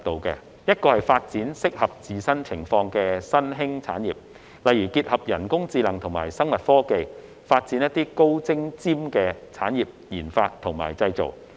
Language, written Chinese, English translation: Cantonese, 第一是發展適合自身情況的新興產業，例如結合人工智能與生物科技，發展"高精尖"的產業研發與製造。, The first is to develop emerging industries that suit its own circumstances such as combining artificial intelligence and biotechnology to develop high - end sophisticated and advanced industrial RD and manufacturing